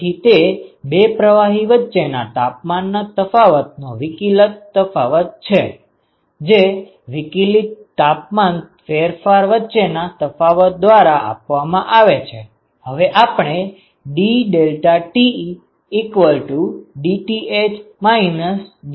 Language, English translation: Gujarati, So, that is the differential change in the temperature difference between the two fluids is given by the difference between the differential temperature differences itself